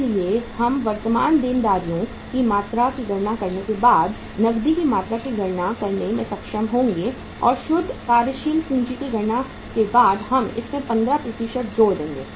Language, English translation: Hindi, So we will be able to calculate the volume of the cash once we calculate the amount of the current liabilities and after we calculate the net working capital we will add 15% of that